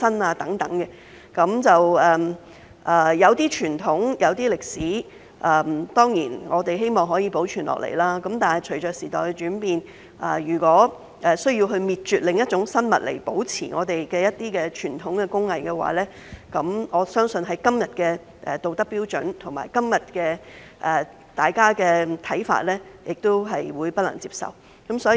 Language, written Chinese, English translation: Cantonese, 我們當然希望一些傳統和歷史可以保存，但隨着時代變遷，如果我們需要滅絕另一種生物來保存傳統工藝，我相信，根據今日的道德標準和大家的看法，是不能接受的。, We certainly hope that some traditions and heritage can be preserved . But as time changes given our present moral standards and perceptions I believe preservation of traditional craftsmanship at the expense of exterminating another species will be considered unacceptable to all